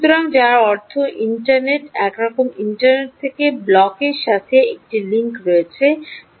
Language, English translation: Bengali, somehow there is a link from the internet to the block which is the analytics block, right